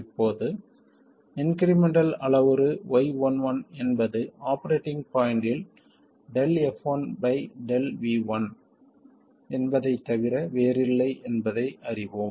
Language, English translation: Tamil, Now we know that the incremental parameter Y11 is nothing but do F1 by do V1 at the operating point